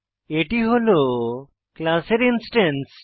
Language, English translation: Bengali, An object is an instance of a class